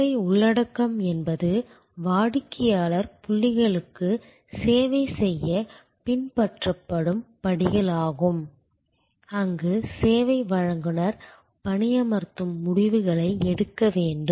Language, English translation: Tamil, Service content will be steps that are followed to serve the customer points in the process, where the service provider employ may have to make decisions